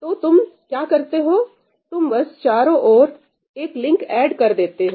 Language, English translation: Hindi, So, what you do is, you just add another wraparound link